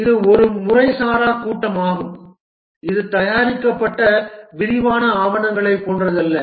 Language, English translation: Tamil, And this is an informal meeting, not like elaborate documents are prepared and so on, that's not the case